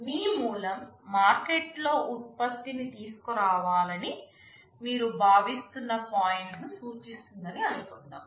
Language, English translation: Telugu, Suppose your origin indicates the point where you are expected to bring the product in the market